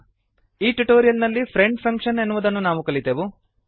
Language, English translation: Kannada, In this tutorial we will learn, Friend function